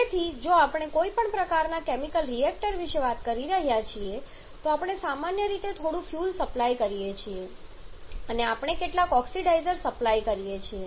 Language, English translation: Gujarati, So, if we are talking about any kind of chemical reactor if we are talking about a chemical reactor then we generally supply some fuel and we supply some oxidizer